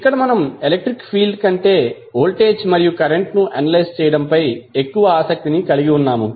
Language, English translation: Telugu, There we are more interested in about analysing voltage and current than the electric field